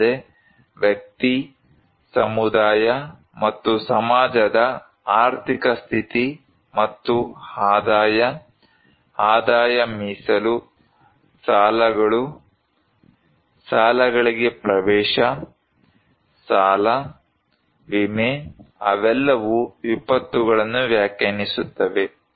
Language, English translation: Kannada, Also, we have economic factors like economic status of individual, community, and society and income, income reserves, debts, access to credits, loan, insurance they all define the disasters